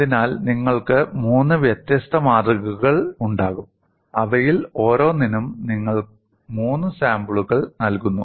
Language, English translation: Malayalam, So, you will have three different specimens; and on each of them, you provide three samples